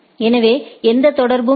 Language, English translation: Tamil, So, there is no connection